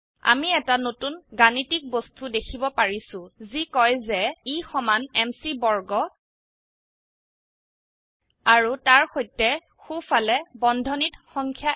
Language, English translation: Assamese, We are now seeing a new Math object that says E is equal to m c squared and along with that, the number one within parentheses, on the right